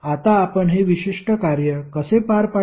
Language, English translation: Marathi, Now, how we will carry on this particular operation